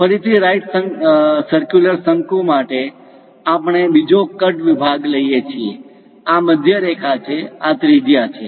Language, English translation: Gujarati, Again for a right circular cone; we take another cut section, this is the centerline, this is the radius